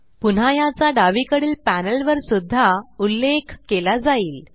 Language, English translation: Marathi, Again, this will be mentioned in the Label on the left panel